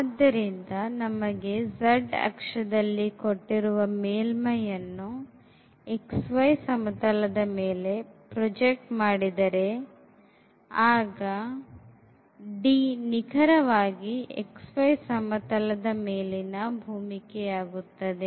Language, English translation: Kannada, So, we have the some surface given or the z axis and if we project that surface into this xy plane then D will be exactly that domain in the xy plane